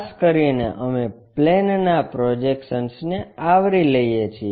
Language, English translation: Gujarati, Especially, we are covering projection of planes